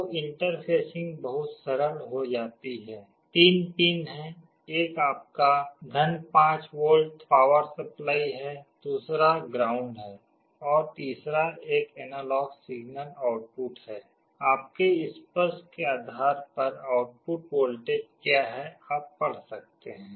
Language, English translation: Hindi, So the interfacing becomes very simple; there are three pins one is your + 5 volt power supply, other is ground and the third one is analog signal output; depending on your touch what is the output voltage that you can read